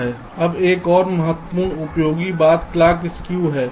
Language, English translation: Hindi, ok, now there is another important thing: useful clock skew